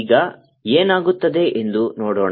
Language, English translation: Kannada, let's see what happens now